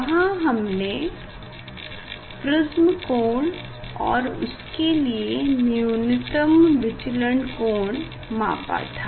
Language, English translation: Hindi, there is what we have done we have measured the prism angle a as well as we have measured the minimum deviation of the light